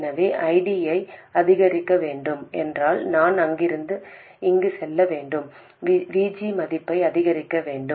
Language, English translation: Tamil, So, if I have to increase ID, I have to go from there to there, I have to increase the value of VG